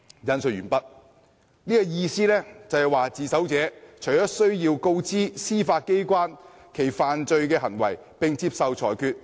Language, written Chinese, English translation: Cantonese, "意思便是自首者要告知司法機關其犯罪行為，並接受裁決。, end of quote That means the person who surrenders must inform the Judiciary of his offence and accepts the judgment